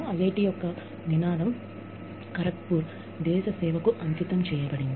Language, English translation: Telugu, The motto of IIT Kharagpur, is dedicated, to the service of the nation